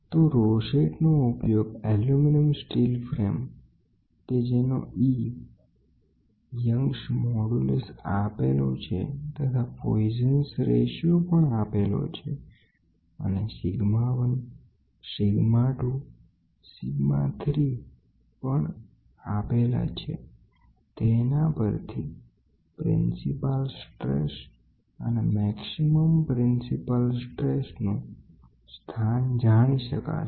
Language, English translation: Gujarati, So, rosette is used to measure the strain on an aluminum steel frame whose E m Young’s modulus is given poisons ratio is given the strain sigma 1 sigma 2 sigma 3 is also given determine the principal stress and the angle of maximum principal stress related to the x axis